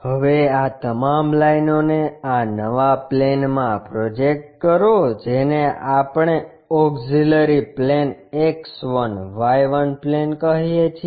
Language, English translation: Gujarati, Now, project all these lines on to this new plane which we call auxiliary plane X 1, Y 1 plane